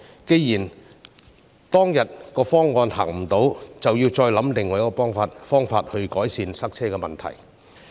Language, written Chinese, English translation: Cantonese, 既然當天的方案行不通，便要再想其他方法改善塞車的問題。, Since the plan of the past did not work we must think of other ways to improve the traffic congestion problem